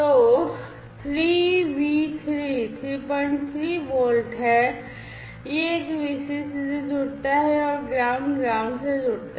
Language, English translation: Hindi, 3 volts this one connects to the Vcc and ground to ground